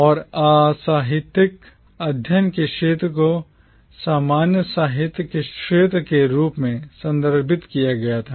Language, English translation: Hindi, And this field of literary studies was referred to as a field of commonwealth literature